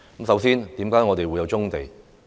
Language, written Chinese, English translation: Cantonese, 首先，為何我們會有棕地？, First of all how did brownfield sites come about?